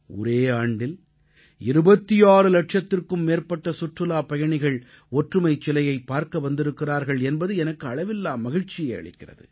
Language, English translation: Tamil, You will be happy to note that in a year, more than 26 lakh tourists visited the 'Statue of Unity'